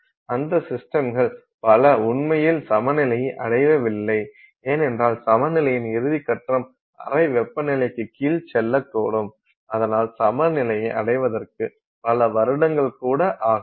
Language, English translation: Tamil, Many of those systems have actually not completely attained equilibrium because the final step in the equilibrium may take, you know, may take under the room temperature conditions it may take several years, maybe several hundreds of years before it attains that equilibrium